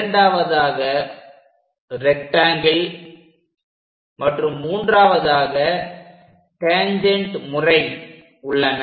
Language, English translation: Tamil, Second one is rectangle method, and the third one is tangent method